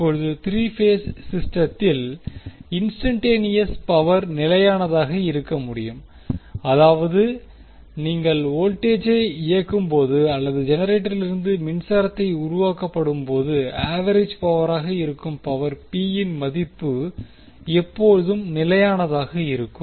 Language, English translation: Tamil, Now, the instantaneous power in a 3 phase system can be constant that means that when you power the voltage or the power is being generated from the generator the value of power p that is average power will always be constant